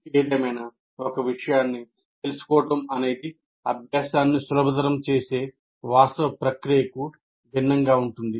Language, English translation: Telugu, Knowing the subject is different from the actual process of facilitating learning